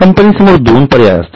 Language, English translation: Marathi, There are two choices with the company